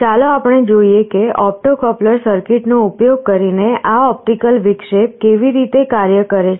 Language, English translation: Gujarati, Let us see how this optical interruption works using this opto coupler circuit